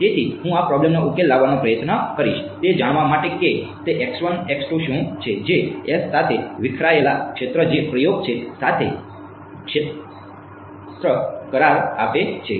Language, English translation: Gujarati, So, I am going to try to solve this problem to find out what is that x 1 x 2 which gives the best agreement with s the scattered fields that is the experiment ok